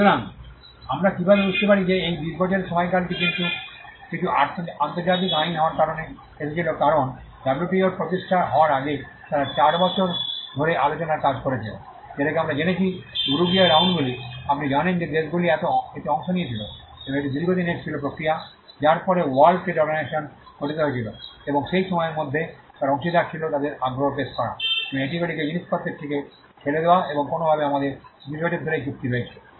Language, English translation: Bengali, So, how do we understand this 20 year period came in because of some international law being because, WTO before it came into being they worked 8 years of negotiations what we call the Uruguay rounds you know countries participated in it and it was a long drawn process after which the world trade organization was formed and in that time, they were stakeholders putting up their interest and pushing things to it and somehow we have this agreement on 20 years